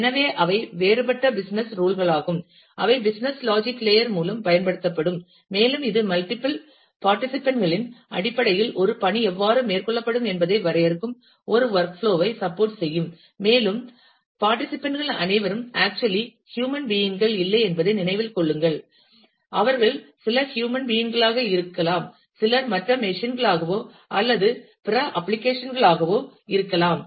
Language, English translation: Tamil, So, those are the different business tools, which will be employed by the business logic layer, and it will support a work flow which defines how a task will be carried out in terms of the multiple participants, and remember that all participants may not actually be human beings, they could be some could be human being some could be other machines or other applications as well